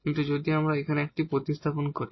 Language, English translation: Bengali, So, what we will get here in this case when we replace a